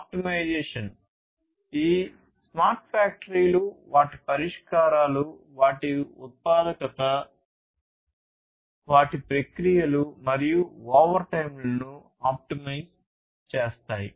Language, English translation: Telugu, Optimization; over all these smart factories are such that they will optimize their solutions their productivity, their processes, and so on overtime